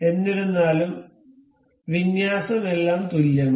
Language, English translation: Malayalam, However, the alignment is all same